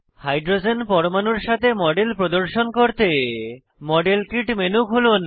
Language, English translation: Bengali, To show the model with hydrogen atoms, open the modelkit menu